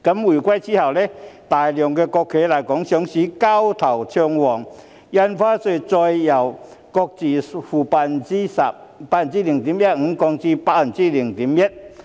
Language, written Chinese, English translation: Cantonese, 回歸後，大量國企來港上市，交投暢旺，印花稅再由買賣雙方各付 0.15% 下降至 0.1%。, After the reunification a large number of state - owned enterprises sought listing in Hong Kong and transaction was brisk . The Stamp Duty was further reduced from 0.15 % each side to 0.1 % each side